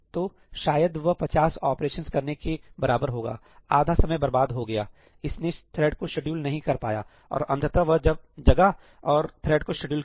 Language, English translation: Hindi, So, maybe about equivalent of doing 50 operations half the time it is wasted, it is not able to schedule the thread; and finally, it wakes up and it schedules the thread